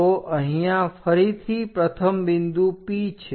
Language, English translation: Gujarati, So, the first point is here P again